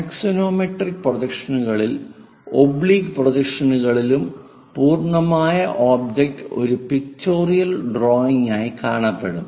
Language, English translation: Malayalam, In axonometric projections and oblique projections, the complete object will be shown, but as a pictorial drawing